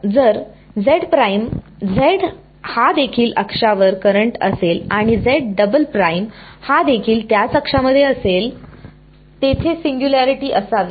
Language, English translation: Marathi, If z prime, z is also on the current on the axis and z double prime is also in the same axis, the singularity should be there